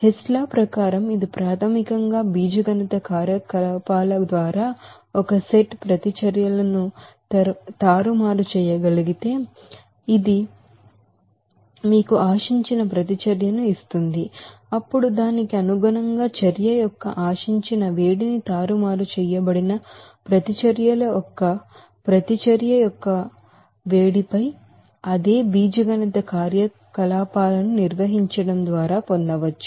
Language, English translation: Telugu, According to Hess law, it is basically if a set of reactions can be manipulated through a series of algebraic operations, which will give you the desired reaction, then the desired heat of reaction accordingly can be obtained by performing the same algebraic operations on the heats of reaction of the manipulated set of reactions